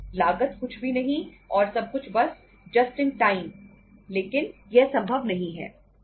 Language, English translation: Hindi, No cost nothing and everything is say just in time but itís not possible